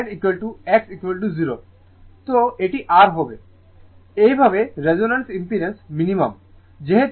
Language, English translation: Bengali, So, it will be R, thus at the resonance impedance Z is minimum